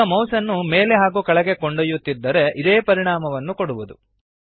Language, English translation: Kannada, Now moving the mouse up and down gives the same effect